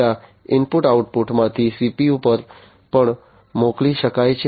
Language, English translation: Gujarati, The data could also be sent from the input output to the CPU